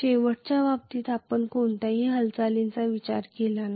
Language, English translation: Marathi, In the last case we did not consider any movement